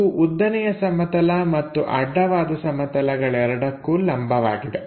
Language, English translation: Kannada, A line perpendicular to both vertical plane and horizontal plane